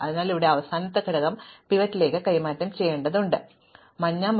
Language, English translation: Malayalam, So, I need to take the last element here and exchange it with the pivot and that is what this is doing